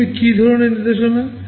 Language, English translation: Bengali, What kind of instructions are they